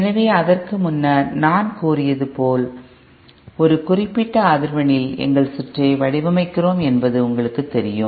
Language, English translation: Tamil, So we know that as I was saying before that you know we design our circuit with at a particular frequency